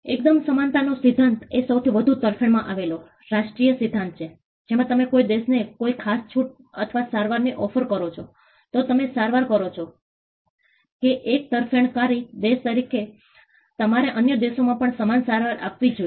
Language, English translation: Gujarati, The most favored nation treatment is another equality principle, wherein if you offer a particular concession or a treatment to one country, you treat that as a most favored country, you should offer similar treatment to all other countries as well